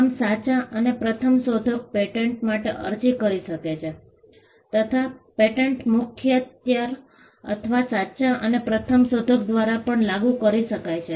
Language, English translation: Gujarati, Now, a true and first inventor can apply for a patent; a patent can also be applied by an assignee or of the true and first inventor